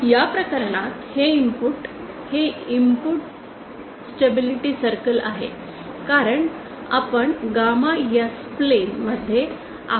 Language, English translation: Marathi, In this case the input this is the input stability circle because and we are in the gamma S plane